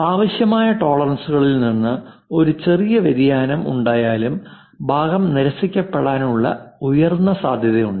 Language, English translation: Malayalam, A small deviation from the required tolerances there is a high chance that part will be get rejected